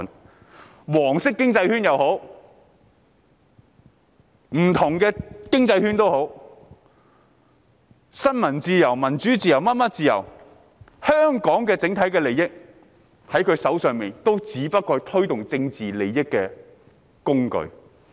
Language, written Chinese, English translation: Cantonese, 不論是"黃色經濟圈"或不同的經濟圈、新聞自由、民主、其他各種自由或香港的整體利益，也不過是他們用來獲取政治利益的工具。, The yellow economic circle or different economic circles freedom of the press democracy other kinds of freedom and the overall interest of Hong Kong are nothing but tools for them to reap political gains